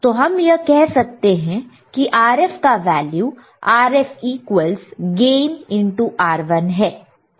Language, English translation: Hindi, So, we can say Rf is nothing, but Rf is nothing, but gain into R1